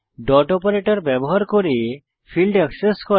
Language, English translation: Bengali, Accessing the fields using dot operator